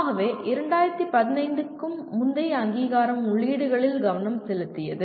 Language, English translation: Tamil, So the accreditation prior to 2015 was the focus was on inputs